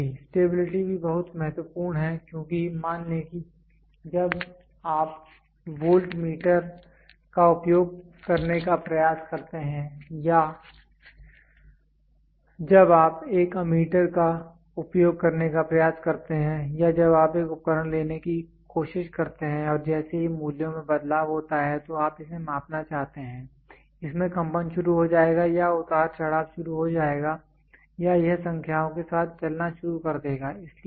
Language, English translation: Hindi, Stability: stability is also very important because suppose when you try to use the voltmeter or when you try to use a ammeter or when you try to take a device and you want to measure it as soon as the there is a change in values, it will start vibrating or it will start fluctuating or it will start running with numbers